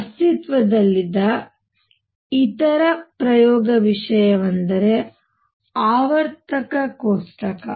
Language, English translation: Kannada, The other experiment thing that existed was periodic table